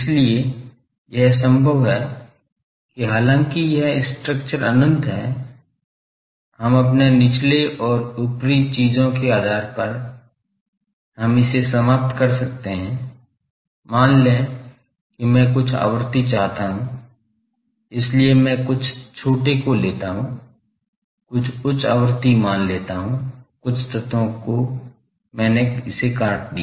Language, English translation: Hindi, So, that is why it is possible that though this structure is infinite, we can, depending on our lower and upper things, we can terminate it, suppose I want some frequency, so I take few smaller ones, suppose higher frequency, so extract few elements then I truncate it